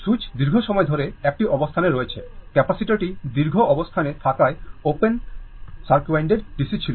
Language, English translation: Bengali, Switch has been in a position for long time the capacitor was open circuited DC as it was in the long position